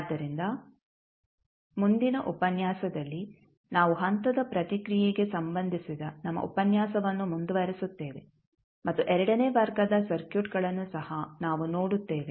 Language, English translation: Kannada, So, in the next lecture we will continue our lecture related to step response and we will also see the second order circuits also